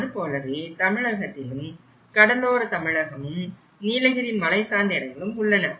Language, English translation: Tamil, Similarly, in Tamil Nadu you have the coastal Tamil Nadu; you have the Nilgiris, as a mountainous place